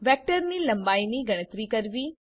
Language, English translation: Gujarati, Calculate length of a vector